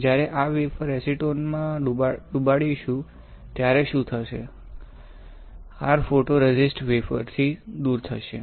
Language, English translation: Gujarati, When you dip this wafer in acetone what will happen; you will have your photoresist stripped off from the wafer